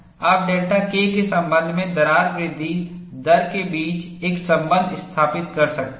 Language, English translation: Hindi, You could establish a relationship between the crack growth rate with respect to delta K